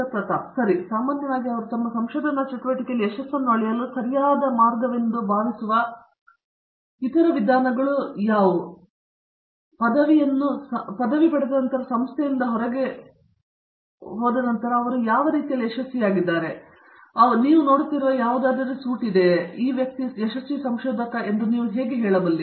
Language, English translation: Kannada, Okay so, in general as things as they leave the institution with the degree in other ways that you feel are the appropriate ways to measure success in their research activity, of course, they are getting a degrees so they have succeeded in some way, but is there something more suttle that you look at and you say this person was a successful researcher